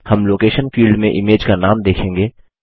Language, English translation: Hindi, We will see the name of the image in the Location field